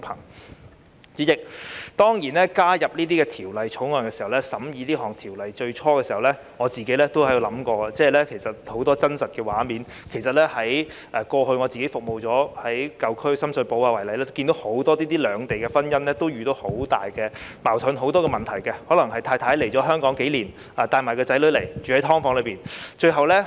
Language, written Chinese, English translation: Cantonese, 代理主席，我當初加入法案委員會時，在審議《條例草案》之初，我也想起很多家庭的真實情況，例如以我過往服務的舊區深水埗區為例，我看到很多涉及兩地婚姻的夫婦遇到很多矛盾和問題，例如太太可能來港數年，帶同年幼子女居於"劏房"。, Deputy President when I first joined the Bills Committee I recalled many real situations encountered by families while examining the Bill . Take Sham Shui Po the old district I served before as an example . I saw many cross - boundary couples encounter many conflicts and problems